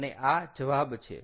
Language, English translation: Gujarati, and this is also an answer